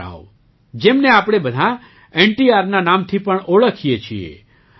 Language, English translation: Gujarati, Rama Rao, whom we all know as NTR